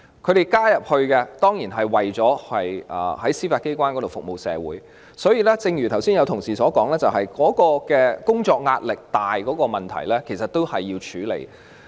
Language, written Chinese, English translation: Cantonese, 他們加入司法機關，當然是為了服務社會，但正如剛才有同事提及，工作壓力沉重的問題，其實亦需要處理。, They join the Judiciary of course to serve the community . That said as mentioned by some Honourable colleagues earlier it is indeed necessary to tackle the problem of heavy work pressure